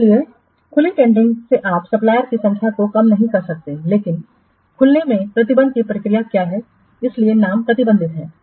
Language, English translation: Hindi, So, in open tendering you cannot reduce the number of suppliers but in open what restriction tendering process, that's why the name is restricted